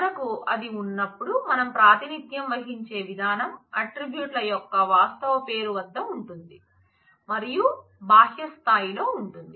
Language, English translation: Telugu, So, when we have that, then the way we represent is at the actual name of the attribute is at the outermost level